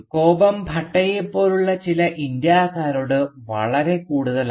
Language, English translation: Malayalam, So the anger is very much directed at certain Indians like Bhatta for instance